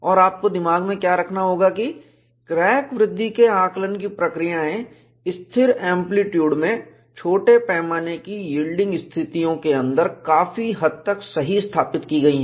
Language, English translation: Hindi, And what you will have to keep in mind is, the procedures for evaluating crack growth in constant amplitude, under small scale yielding conditions, are fairly well established